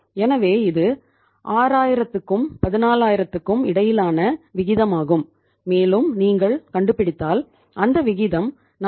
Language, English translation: Tamil, So it is the ratio between 6000 and the 14000 and if you find out the ratio works out as how much that is 42